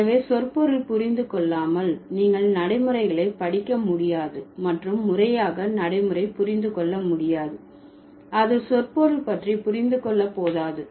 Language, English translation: Tamil, So, without understanding semantics, you cannot study pragmatics and without formally understanding pragmatics, it's not enough to understand semantics